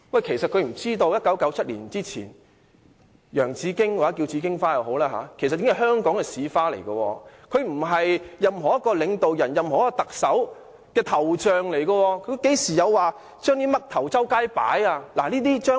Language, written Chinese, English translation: Cantonese, 他是否不知道在1997年之前，洋紫荊或紫荊花已是香港的市花，它不是某位領導人或特首的頭像；香港何曾有把甚麼"嘜頭"滿街擺放？, Does he know that bauhinia was the city flower of Hong Kong before 1997? . The statue at the Square is not the head sculpture of a certain state leader or the Chief Executive . Has Hong Kong ever placed the picture of someone along the streets?